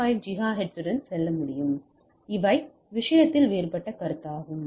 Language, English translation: Tamil, 5 gigahertz and there are these are the different consideration into the thing